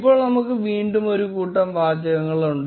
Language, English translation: Malayalam, Now we again have a bunch of text